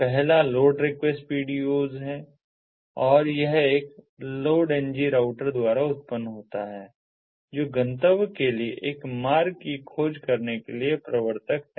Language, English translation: Hindi, the first one is the load request pdos and it is generated by a load ng router, the originator for discovering a route to the destination